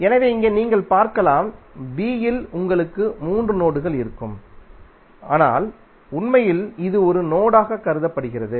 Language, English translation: Tamil, So here you will have, in b you will have three nodes but actually it is considered as one node